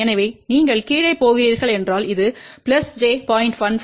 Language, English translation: Tamil, So, if you are going down this was plus j 0